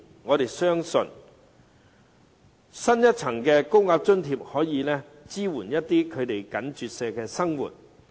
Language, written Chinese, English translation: Cantonese, 我們相信，增設一層高額津貼可以支援他們緊絀的生活。, We believe that adding a tier of higher payment to the allowance can support their hard - up living